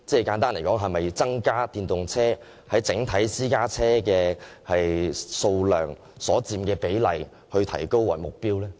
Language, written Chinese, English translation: Cantonese, 簡單來說，是否以提升電動車在私家車整數量中所佔的比例為目標？, In brief is it the aim of the authorities to raise the proportion of EVs in the total number of private cars?